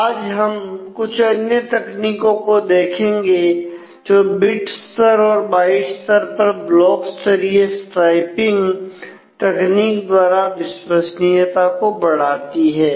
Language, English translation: Hindi, That we expect today another some of the other techniques which improve reliability is bit level and byte level block level striping techniques